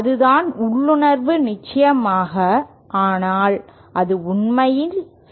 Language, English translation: Tamil, That is the intuition off course but is it true in reality